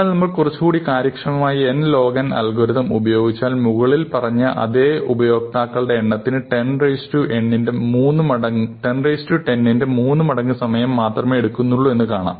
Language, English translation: Malayalam, On the other hand, if we were to move to the smarter n log n algorithm, which we claim we will find, then it turns out, that sorting this large number of own users takes only 3 times 10 to the 10 because the log to the base 2 of 10 to the 9 is 30